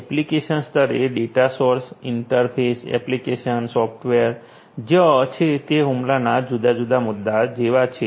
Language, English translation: Gujarati, At the application level data stores, interfaces, application software are there which are like different points of attack